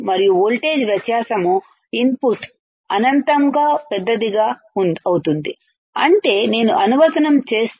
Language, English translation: Telugu, And the voltage difference the input is magnified infinitely that means, that if I apply if I apply